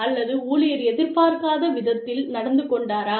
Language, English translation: Tamil, Employee behaved in a manner, that was not expected